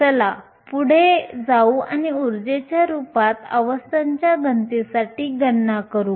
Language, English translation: Marathi, Let us go ahead and calculate an expression for the density of states in terms of the energy